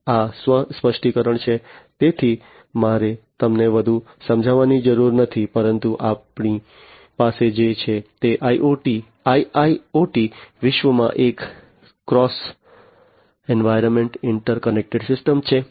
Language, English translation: Gujarati, These are self explanatory, so I do not need to explain them further, but what we are going to have is a cross environment interconnected system in the IIoT world